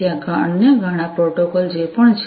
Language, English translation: Gujarati, There are many other protocols that are also there